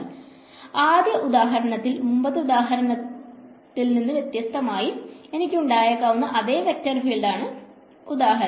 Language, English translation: Malayalam, So, the first example is the same vector field that I had in the previous example right